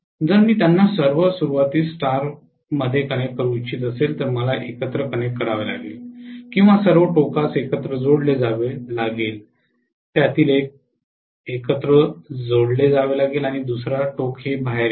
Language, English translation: Marathi, If I want to connect them in star all beginning, I have to be connected together or all end ends have to be connected together one of them have to be connected together and the other end will come out